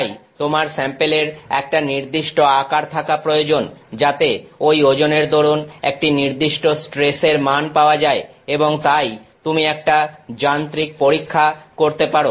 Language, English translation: Bengali, Therefore, it will require your sample to be of a certain size so, that that load will correspond to a certain value of stress and therefore, you can do a mechanical test